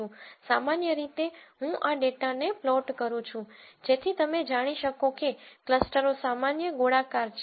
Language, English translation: Gujarati, Typically I have been plotting to this data so that you know the clusters are in general spherical